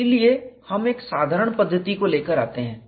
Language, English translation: Hindi, So, we would take out a simpler approach